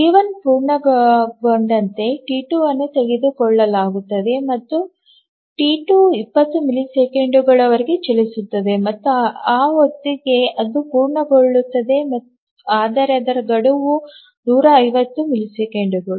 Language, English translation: Kannada, And as T11 completes T2 will be taken up and T2 will run up to 50 milliseconds and by the time it will complete but its deadline is 150